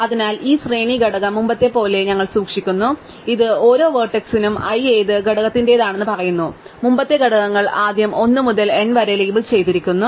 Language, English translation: Malayalam, So, we keep this array component as before which tells us for each vertex I which component it belongs to, and the components as before are initially labeled 1 to n